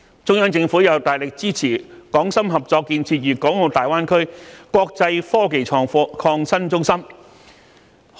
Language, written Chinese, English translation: Cantonese, 中央政府又大力支持港深合作建設粵港澳大灣區國際科技創新中心。, The Central Government also strongly supports the cooperation between Hong Kong and Shenzhen in developing an international IT hub in the Greater Bay Area